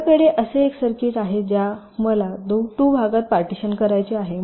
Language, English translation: Marathi, so i have a circuit like this which i want to partition into two parts